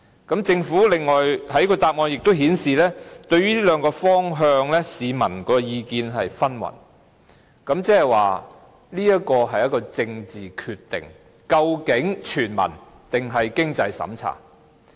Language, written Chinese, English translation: Cantonese, 此外，政府在主體答覆亦表示，對於這兩個方向，市民的意見紛紜，即是說，這是一個政治決定：究竟全民的還是設有經濟審查的。, In addition in the main reply the Government also says that the publics views on these two directions are diverse so this means the decision will be a political one Will it be universal in nature or will it means - tested?